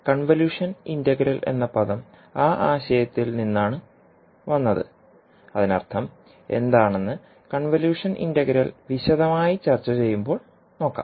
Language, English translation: Malayalam, So the term convolution integral has come from that particular concept and what does it mean we will see when we will discuss the convolution integral in detail